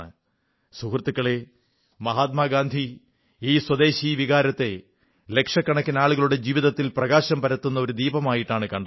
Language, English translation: Malayalam, Friends, Mahatma Gandhi viewed this spirit of Swadeshi as a lamp illuminating the lives of millions as well as bringing prosperity in the lives of the poorest of the poor